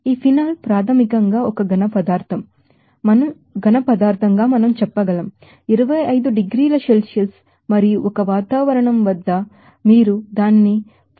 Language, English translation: Telugu, This phenol basically as a solid we can say that at 25 degrees Celsius and 1 atmosphere and if you heat it up to 42